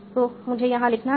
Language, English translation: Hindi, So let me add down here